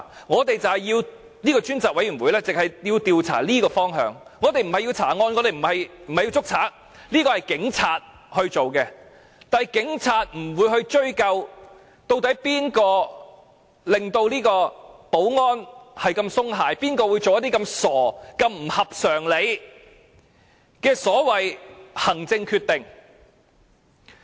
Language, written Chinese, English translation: Cantonese, 立法會的專責委員會只是要調查這方向，我們不是要調查案件和拘捕犯人，這應由警察處理，但警察不會追究誰令保安系統鬆懈，誰會作出這麼傻、這麼不合常理的所謂行政決定？, Our aim is not to detect the theft case and arrest the criminals . This is the job of the Police . But the Police will not bother about who are to blame for the lax security measures and who made such a stupid and unreasonable administrative decision